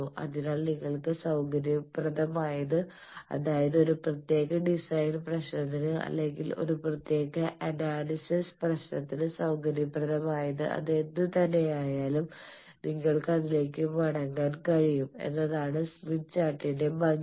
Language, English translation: Malayalam, So whichever is convenient for you, whichever is convenient for a particular design problem, whichever is convenient for a particular analysis problem, you can revert to that is the beauty of smith chart